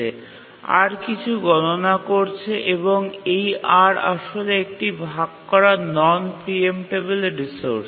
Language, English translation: Bengali, And this R is actually a shared non preemptible resource